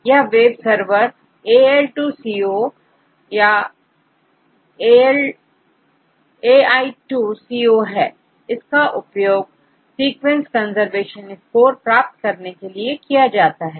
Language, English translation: Hindi, This is a web server AL2CO, Al2CO is used to calculate the sequence conservation score